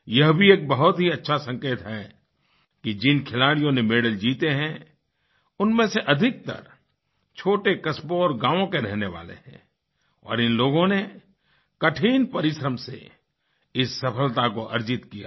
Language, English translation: Hindi, This too is a very positive indication that most of the medalwinners hail from small towns and villages and these players have achieved this success by putting in sheer hard work